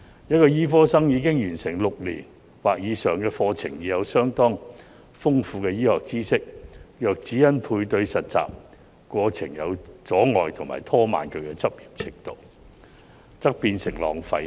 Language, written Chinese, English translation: Cantonese, 一名醫科生已經完成6年或以上的課程，有相當豐富的醫學知識，若只因配對實習過程有阻礙而拖慢其執業進度，則變成浪費。, Having completed a course which lasted six years or more medical graduates should have rich medical knowledge . It will be a waste of resources if their practice is delayed merely by the difficulties in internship matching